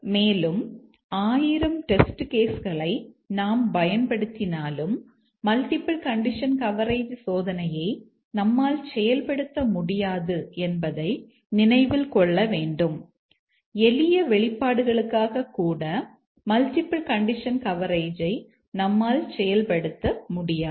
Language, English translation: Tamil, And that we must keep in mind that we cannot achieve multiple condition coverage testing even though we deploy thousands of test cases, we cannot achieve multiple condition coverage even for simple expressions